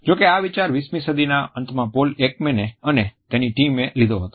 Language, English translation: Gujarati, However, this idea was taken up in the late 20th century by Paul Ekman and his team